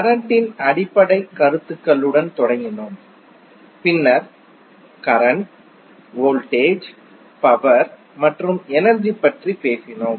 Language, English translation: Tamil, So we started with the basic concepts of charge then we spoke about the current, voltage, power and energy